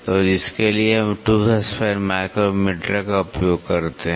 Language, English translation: Hindi, So, for which we use tooth span micrometre